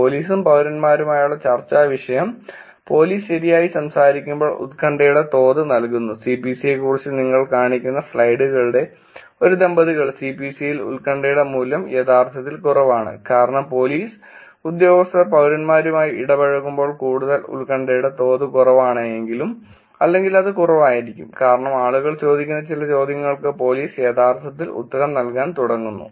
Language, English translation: Malayalam, Discussion thread with police and citizens where gives the level of anxiety when police talks interacting right, a couples of slides back showing you about C P C, in C P C the value for anxiety is actually lower is just because that they, when police staffs interacting the citizens tend to be more, anxious level being it is lower or it tends to be lower because police starts actually answering some of the questions that people are asking